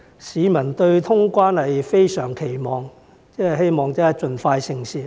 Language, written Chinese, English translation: Cantonese, 市民對於通關是非常期望的，希望盡快成事。, The public is itching for the resumption of quarantine - free travel and hoping for its prompt fruition